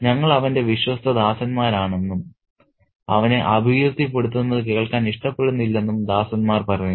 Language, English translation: Malayalam, And the servants say, we are his faithful servants and don't like to hear him maligned